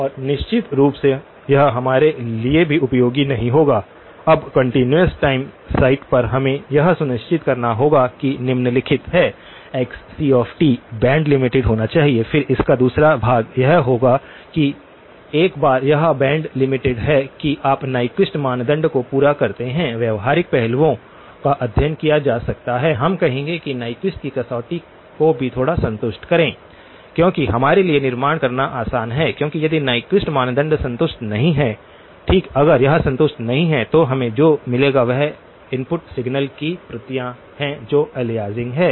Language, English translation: Hindi, And of course, it will not be helpful for us either, now on the continuous time site, we have to ensure the following one is xc of t must be band limited, then the second part of it will be that once it is band limited that you satisfy the Nyquist criterion may be having studied the practical aspects, we would say also over satisfy the Nyquist criterion by a little bit it is easy for us to build because if Nyquist criterion is not satisfied, okay if this is not satisfied then what we will get is copies of the input signal that are aliasing